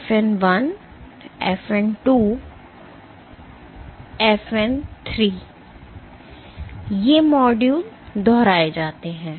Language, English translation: Hindi, FN 1, FN 2 and FN 3 and , these modules are repeated